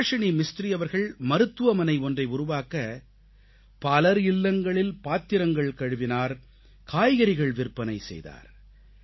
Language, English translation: Tamil, Subhasini Mistri is a woman who, in order to construct a hospital, cleaned utensils in the homes of others and also sold vegetables